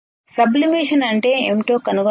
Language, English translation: Telugu, Find what is sublimation